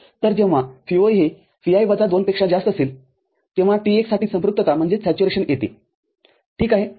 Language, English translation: Marathi, So, when this Vo is greater than Vi minus 2, the saturation for T1 occurs ok